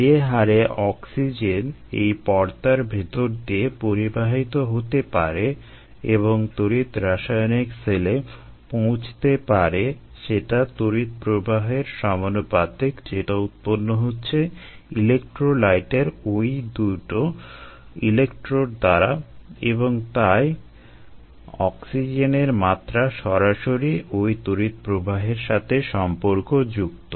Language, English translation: Bengali, the rate at which oxygen, ah rith permeates through the membrane and reaches the electro chemical cell is proportional to the current that is generated by these two electrodes in the electro light, and therefore the oxygen level can be directly related to the current, ah